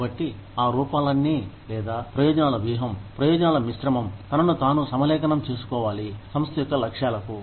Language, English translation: Telugu, So, all of that forms, or the benefits strategy, the benefits mix, has to align itself, to the objectives of the organization